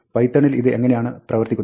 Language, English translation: Malayalam, How does this work in python